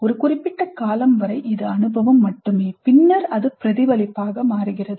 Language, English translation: Tamil, It is not that up to certain point of time it is only experience and from then onwards it is reflection